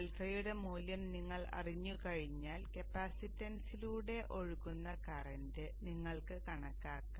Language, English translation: Malayalam, Then once you know the value of alpha you can calculate the current that is flowing through the capacitance